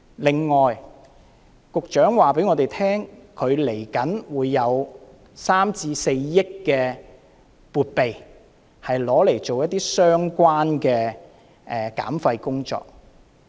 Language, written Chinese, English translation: Cantonese, 另外，局長告訴我們，他稍後會有3億元至4億元的撥備，用來做一些相關的減廢工作。, Another thing that the Secretary told us is that he will earmark 300 million to 400 million for some projects relevant to waste reduction